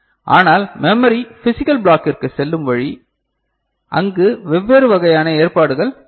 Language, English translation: Tamil, But the way it is going to the memory physical block we can you know, make different kind of arrangements over there